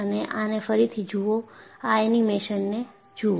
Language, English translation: Gujarati, And, you can again look at the animation